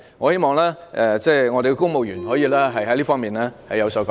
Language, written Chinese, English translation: Cantonese, 我希望公務員......可以在這方面有所改善。, I hope civil servants can seek improvement in this respect